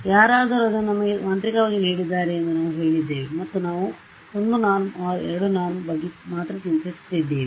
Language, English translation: Kannada, We had said magically someone has given it to me and we were only worrying about 1 norm or 2 norm